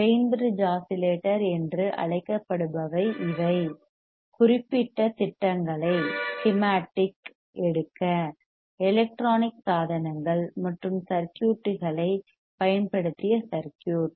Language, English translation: Tamil, What is called Wein bridge oscillator these are circuit we have used electronic devices and circuits for taking the particular schematic